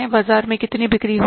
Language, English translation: Hindi, How much we are going to sell